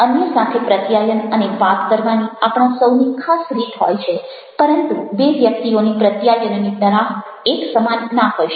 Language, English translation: Gujarati, we all have one particular way of communicating and talking with others, but two people cannot have the similar kind of communication pattern